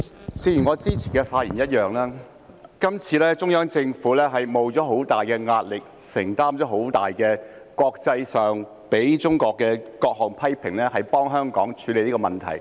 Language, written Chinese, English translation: Cantonese, 主席，正如我之前的發言一樣，今次中央政府承受着很大壓力，承擔國際上對中國的各種猛烈批評，替香港處理這個問題。, President as I said in my previous speech this time the Central Government has endured great pressure and all kinds of fierce criticism from the international community against China in helping Hong Kong to deal with this issue